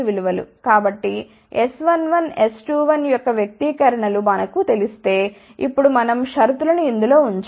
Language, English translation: Telugu, So, once we know the expressions for S 1 1 S 2 1, now we have to put the condition